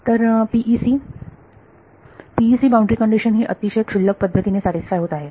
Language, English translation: Marathi, So, PEC the PEC boundary condition is very trivially being satisfied